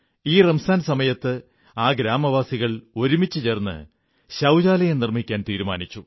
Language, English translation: Malayalam, During this Ramzan the villagers decided to get together and construct toilets